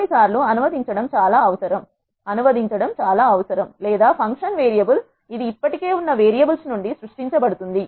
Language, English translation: Telugu, Sometimes it is essential to have a translated or the function are variable, which is created from the existing variables